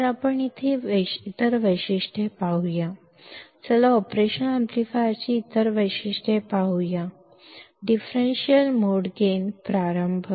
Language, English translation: Marathi, So, let us see some other characteristics; let us see other characteristics of operational amplifier; starting with differential mode gain